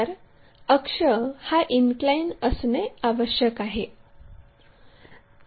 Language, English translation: Marathi, Now, axis has to be inclined